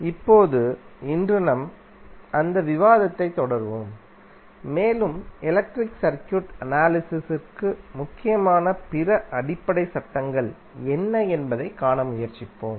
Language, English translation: Tamil, Now today we will continue our that discussion and try to see what are other basic laws which are important for the analysis of electrical circuit